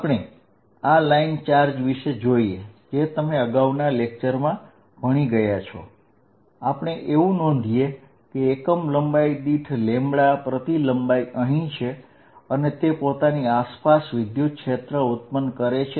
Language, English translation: Gujarati, Let us look at a line charge, you know the previous lectures, we did a line charge of carrying a lambda per unit length and what we saw is that, it creates a field like this around it